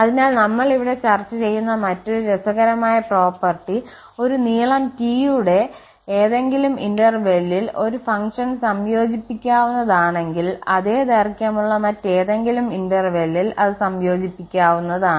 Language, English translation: Malayalam, So, another interesting property which we will discuss here, so if a function is integrable on any interval of length T, then it is integrable on any other interval of the same length